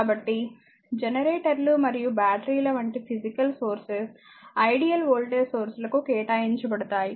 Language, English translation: Telugu, So, physical sources such as generators and batteries may be regarded as appropriations to ideal voltage sources